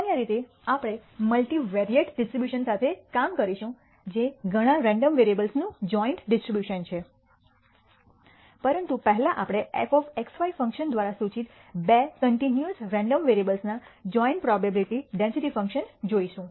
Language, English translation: Gujarati, In general, we will be dealing with the multivariate distributions which are joint distribution of several random variables, but first we will look at the joint probability density function of two continuous random variables x and y denoted by the function f of x comma y